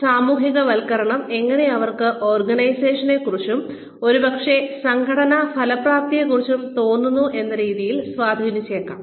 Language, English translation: Malayalam, And, how the socialization may have impacted the way, they feel about the organization, and maybe even organizational effectiveness